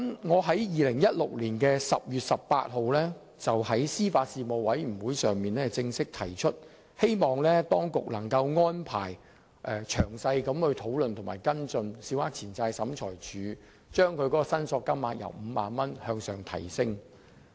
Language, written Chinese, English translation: Cantonese, 我在2016年10月18日在司法及法律事務委員會會議上正式提出，希望當局能安排詳細討論及跟進，把審裁處的司法管轄權限由5萬元上調。, At the meeting of the Panel on Administration of Justice and Legal Services on 18 October 2016 I formally asked the authorities to arrange a detailed discussion on adjusting the 50,000 jurisdictional limit of SCT and to follow up on the matter